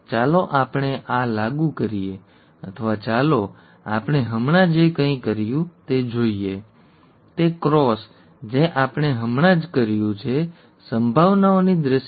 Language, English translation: Gujarati, Let us apply this or let us look at whatever we did just now, the cross that we did just now, in terms of probabilities